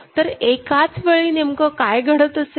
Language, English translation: Marathi, So, what is happening at that time